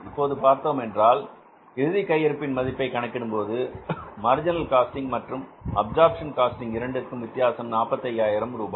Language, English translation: Tamil, So you see why means while valuing the closing stock, the difference of the valuation of the closing stock under marginal costing and the absorption costing, the difference is of 45,000 rupees